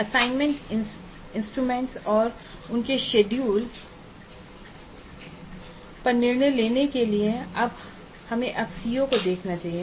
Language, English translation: Hindi, After deciding on the assessment instruments and their schedule we must now look at the COs